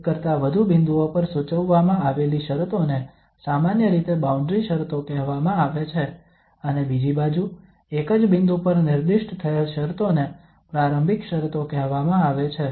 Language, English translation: Gujarati, The conditions that are prescribed at more than one points are called usually the boundary conditions and on the other hand, the conditions that are specified at a single point are called initial conditions